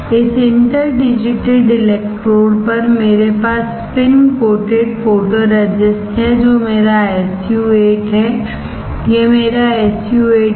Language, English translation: Hindi, On this interdigitated electrodes I have spin coated photoresist which is my SU 8; this is my SU 8